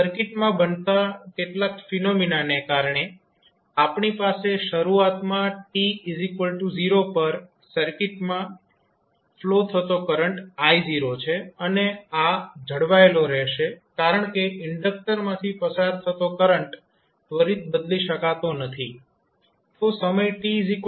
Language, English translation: Gujarati, So, because of some phenomena which was happened in the circuit we were having initially the current flowing I naught at time equal to 0 and this will be maintained because the current through the inductor cannot change